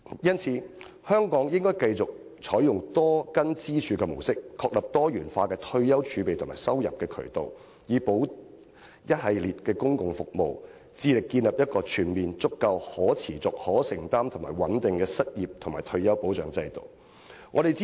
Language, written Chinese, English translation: Cantonese, 因此，香港應繼續採用多根支柱的模式，確立多元化的退休儲備和收入渠道，並輔以一系列的公共服務，致力建立一個全面充足、可持續、有承擔和穩定的失業和退休保障制度。, Hence Hong Kong should continue to adopt a multi - pillar model in providing diversified sources to deliver retirement savings and income to be complemented by a range of public services so as to establish an adequate sustainable affordable and robust system for unemployment and retirement protection